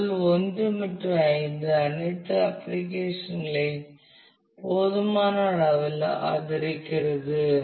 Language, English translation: Tamil, Since level 1 and 5 adequately support all applications